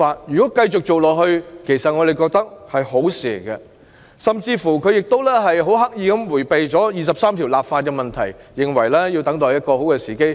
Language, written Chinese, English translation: Cantonese, 如能維持這些做法，我們認為是好事，而她亦刻意迴避就《基本法》第二十三條立法的問題，認為要等待更佳時機。, We considered it beneficial if such practices could be maintained . She also deliberately evaded the question of legislating for Article 23 of the Basic Law finding the need to wait for a better timing